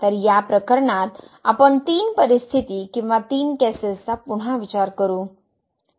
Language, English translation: Marathi, So, in this case we will consider three situations or three cases again